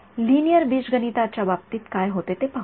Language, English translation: Marathi, But let us see what it what happens in terms of linear algebra